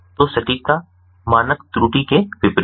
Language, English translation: Hindi, so precision is inversely related to the standard error